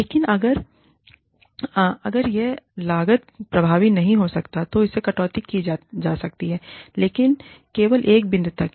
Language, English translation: Hindi, But, if it is not being cost effective, maybe, that can be cut down, but only up to a point